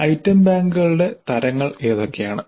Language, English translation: Malayalam, What are the types of item banks